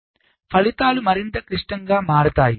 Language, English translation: Telugu, ok, so result become more complex